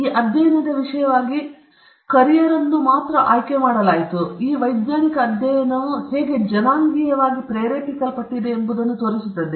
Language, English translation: Kannada, So, only blacks were selected as subject for this study, which also highlights how racially motivated this scientific study was